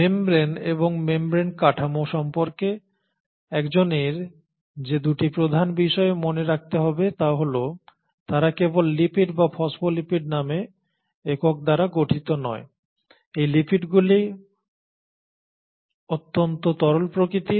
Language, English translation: Bengali, So there are 2 major aspects one has to remember about membrane and membrane structure is that not only are they made up of lipid and units called phospholipids, these lipids are highly fluidic in nature